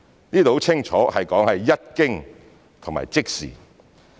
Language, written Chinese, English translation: Cantonese, 這是很清楚說明"一經"及"即時"。, The wordings upon and immediately are also specified clearly